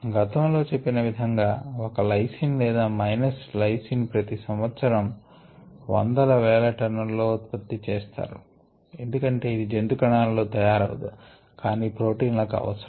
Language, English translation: Telugu, as mentioned earlier, ah lysine minus lysine is produce an annual quantities of hundred of thousands of tons, because this amino acid is not made by ani, by animal cells, but is required forproteins and so on